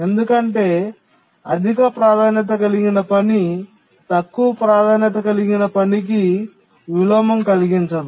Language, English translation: Telugu, Because a high priority task cannot cause inversion to a low priority task